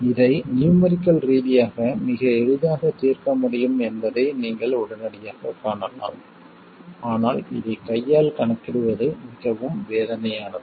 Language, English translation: Tamil, And you can immediately see that this can be solved very easily numerically but hand calculation of this is very very painful